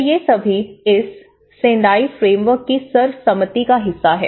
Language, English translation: Hindi, So, these are all part of the consensus of this Sendai Framework